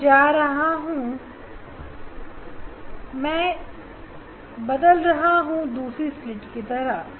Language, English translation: Hindi, I am going I am changing to the second slit